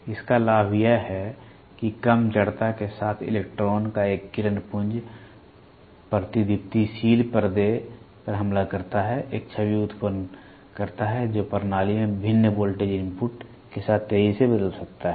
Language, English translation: Hindi, Its advantage is that a beam of electron with low inertial strikes the fluorescent screen, generates an image that can rapidly change with varying voltage input to the system